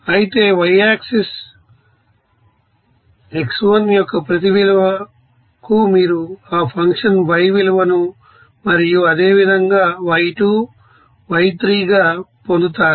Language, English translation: Telugu, Whereas the y axis you will see that for each value of x1 you will get that function value as y1 and similarly y2